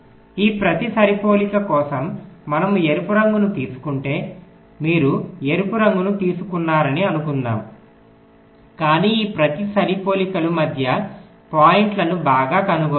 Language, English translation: Telugu, then, for each of these matchings we have found out, like, for example, if i take the red one, suppose you have take the red one, but each of these matchings, well, find the middle points